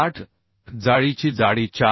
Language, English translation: Marathi, 8 thickness of web is 4